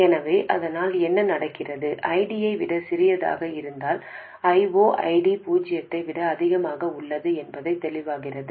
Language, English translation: Tamil, So, ID is smaller than I 0